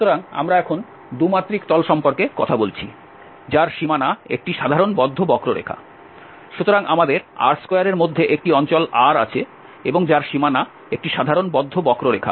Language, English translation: Bengali, So, we are talking about the 2 dimensional plane now, whose boundary is a simple closed curve, so we have a region R in R 2 and whose boundary is a simple closed curve